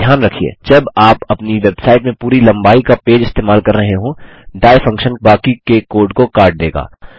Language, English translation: Hindi, Take care when you are using a full length page in your website, the die function will cut off the rest of the code